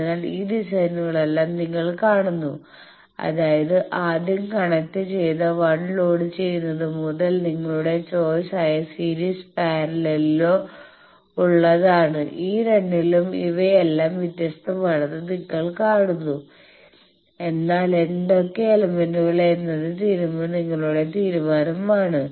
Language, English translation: Malayalam, So, you see all these designs whether the first one; that means, from load the first connected 1 that is in series or parallel that is your choice you see all these are different in these two, but which elements that is up to you